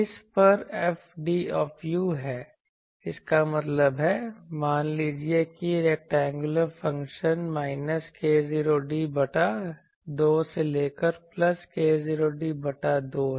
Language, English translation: Hindi, A this is F d u; that means, suppose the rectangular function from minus k 0 d by 2 to plus k 0 d by 2